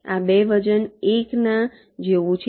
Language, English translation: Gujarati, these two weight is one